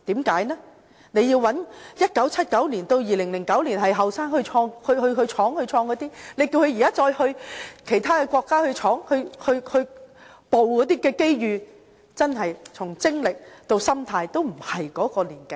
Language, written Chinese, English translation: Cantonese, 在1979年至2009年屬於年青一代，當時去闖去創業的那些人，如果現時再由他們到其他國家去闖去捕捉機遇的話，真的從精力到心態都不再年輕了。, Regarding the generation which were young and explored to start their business between 1979 and 2009 they no longer have the same body and mind if they are asked to venture overseas today